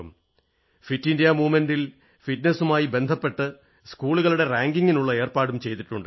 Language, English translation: Malayalam, In the Fit India Movement, schedules have been drawn for ranking schools in accordance with fitness